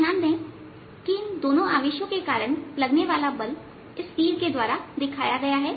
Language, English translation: Hindi, you will notice that the force due to these two charges is going to be as in the arrow shown